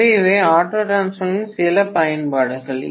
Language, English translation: Tamil, So these are some of the applications of auto transformer